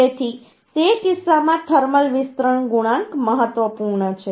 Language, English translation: Gujarati, So in that case thermal expansion coefficient is important